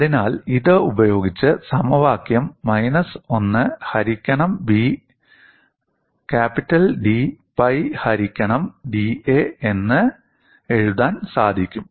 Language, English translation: Malayalam, So, using this, the equation can be re written as minus of 1 by B d capital pi divided by d a